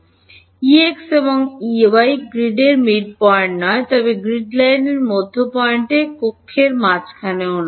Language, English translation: Bengali, E x and E y are not at the midpoint of the grid, but at the midpoint of the grid line not in the middle of the cell